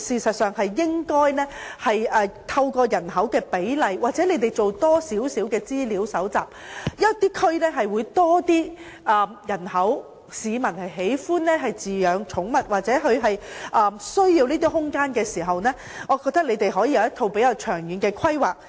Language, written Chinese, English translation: Cantonese, 我認為政府應該搜集更多資料，某些地區可能有較多市民喜歡飼養寵物或他們需要這些空間，當局便可從而作出較長遠的規劃。, I think the Government should collect more information . In some areas more people may like to keep pets or they need such space so the authorities can make longer - term planning